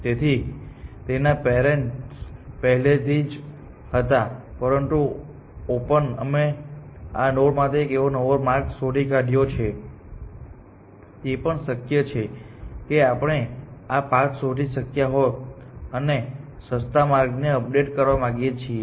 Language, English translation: Gujarati, So, they already have some parent, but we have found a new path to these nodes on open; it is possible that we might have found the cheaper path and we want to update the cheaper path